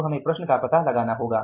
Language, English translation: Hindi, So in this case we will to find out that